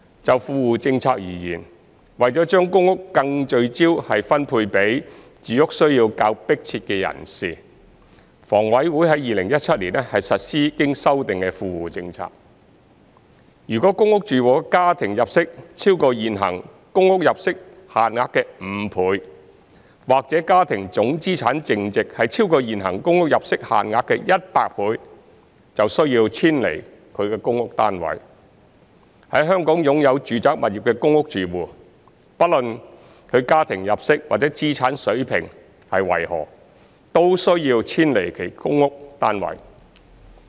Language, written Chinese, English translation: Cantonese, 就富戶政策而言，為了將公屋更聚焦地分配給住屋需要較迫切的人士，房委會於2017年實施經修訂的富戶政策，若公屋住戶的家庭入息超過現行公屋入息限額5倍，或家庭總資產淨值超過現行公屋入息限額100倍，便需要遷離他的公屋單位；在香港擁有住宅物業的公屋住戶，不論他的家庭入息或資產水平為何，都需要遷離其公屋單位。, Regarding the Well - off Tenants Policies WTP to ensure that efforts would be focused on allocating PRH to those with more pressing housing needs HA has implemented the revised WTP since 2017 under which PRH households whose family income exceeds 5 times the existing PRH income limits or whose total net household assets exceed 100 times the existing PRH income limits should vacate their PRH flats . PRH households who have domestic property ownership in Hong Kong should vacate their PRH flats irrespective of their levels of income or assets